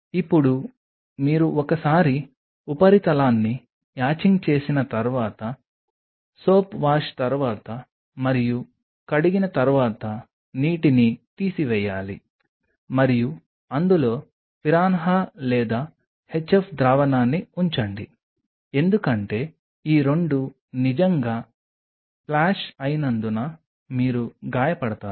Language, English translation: Telugu, So, you just have to drain the water after washing after soap wash and in that put the piranha or the HF solution just be extremely careful because both of these are really splash you will become injured